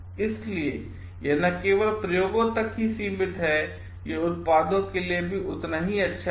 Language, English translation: Hindi, So, this not only is restricted to experiments, it holds equally good for products also